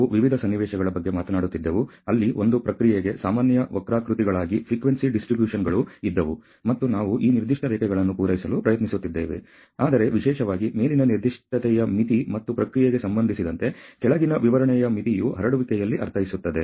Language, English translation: Kannada, We were talking about the various situations, where there were the frequency distributions as normal curves for a process, and we are trying to meet these specification lines, but particularly upper specification limit and the lower specification limit with respect to the process mean in the spread